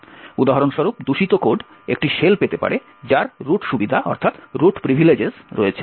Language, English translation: Bengali, The malicious code for instance could obtain a shell which has root privileges